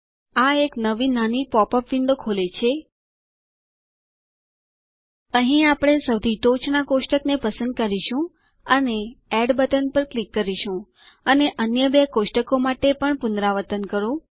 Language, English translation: Gujarati, This opens a small pop up window, Here we will select the top most table and click on the add button, and repeat for the other two tables also